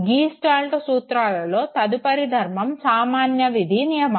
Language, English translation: Telugu, The next law of Gestalt principle is the law of common fate